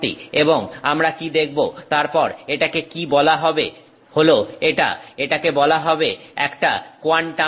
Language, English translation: Bengali, And what we see, what it is then referred to is that it is referred to as a quantum dot